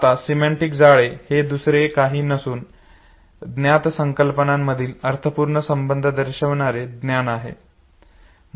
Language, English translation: Marathi, Now semantic network is nothing but it is basically a knowledge representing meaningful relationship among the concepts no